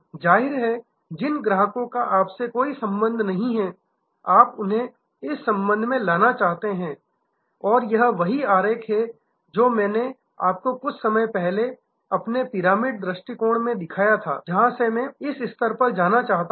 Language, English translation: Hindi, Obviously, the customers who have no relationship you want to move them to this relation, this is the same diagram that I showed you in a little while earlier by my pyramid approach, where from here I want to go to this level